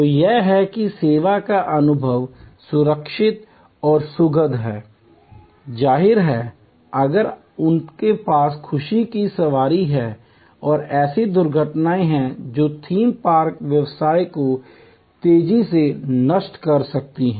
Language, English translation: Hindi, So, that the service experience is safe, secure and pleasurable it is; obviously, if they have although joy rides and there are accidents that can destroy a theme park business right fast